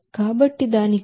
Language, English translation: Telugu, So for that, this 0